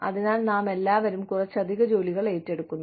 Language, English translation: Malayalam, So, we all take on, a little bit of extra work